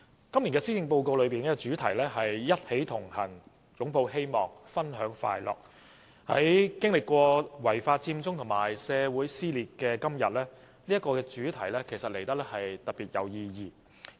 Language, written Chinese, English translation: Cantonese, 今年施政報告的主題是"一起同行擁抱希望分享快樂"，在經歷了違法佔中和社會撕裂的今天，這個主題顯得特別有意義。, The theme of the Policy Address this year is We Connect for Hope and Happiness . Today given that Hong Kong has experienced the unlawful Occupy Central and social split this theme carries special significance